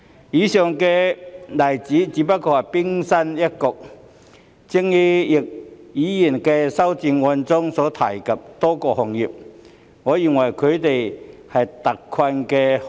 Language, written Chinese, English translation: Cantonese, 以上的例子只是冰山一角，就如易議員的修正案中所提及的多個行業，我認為他們也屬於特困行業。, The above examples are just the tip of the iceberg . I think many of the industries mentioned in Mr YICKs amendment should also be regarded as hard - hit industries